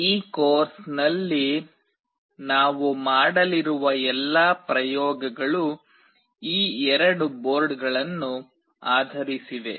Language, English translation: Kannada, All the experiments that we will be doing in this course will be based on these two boards